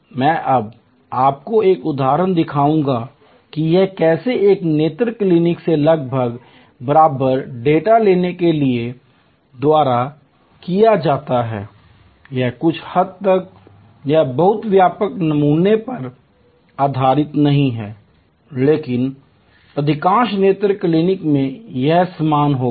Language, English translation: Hindi, I will now show you an example that how this is done by taking almost equivalent data from an eye clinic, it is somewhat it is not based on very wide sampling, but in most eye clinics it will be same